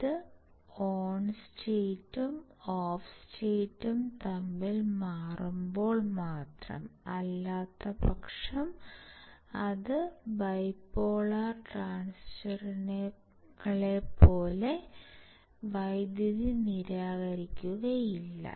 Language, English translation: Malayalam, When it switches between the on state and off state, otherwise it will not dissipate the power that is the advantage of CMOS over the bipolar transistors